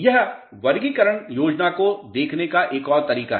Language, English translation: Hindi, This is another way of looking at the classification scheme